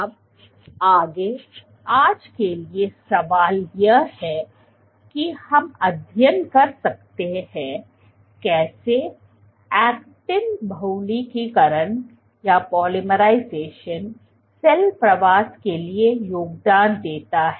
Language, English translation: Hindi, Now, ahead, the question for today is can we study how actin polymerization contributes to cell migration